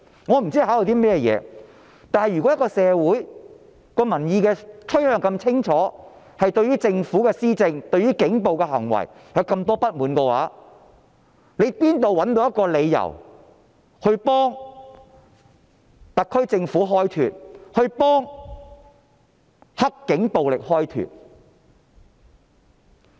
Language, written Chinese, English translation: Cantonese, 我不知道他們考慮的是甚麼，但如果社會民意取向是如此清楚，對於政府的施政、警暴的行為有這麼多不滿，他們怎可能會找到一個替特區政府、"黑警"暴力開脫的理由？, I do not know what is on their mind . However if public sentiment is so clear and people are so dissatisfied with the Governments governance and police violence how can they find an excuse for the SAR Government and the dirty cops?